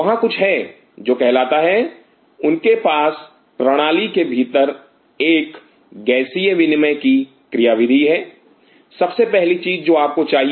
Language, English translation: Hindi, There is something called they have a mechanism of gaseous exchange inside the system very first thing you needed